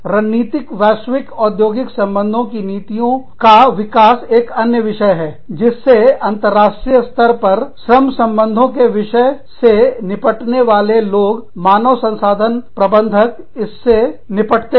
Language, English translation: Hindi, Development of strategic global industrial relations policy, is another issue that, people dealing with international, the human resource managers dealing with labor relations issues, deal with